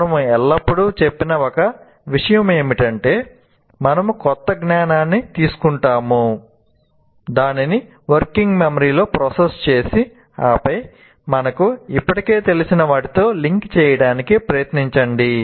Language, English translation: Telugu, One of the things we always said, we build our new, we take the new knowledge, process it in the working memory, and then try to link it with what we already knew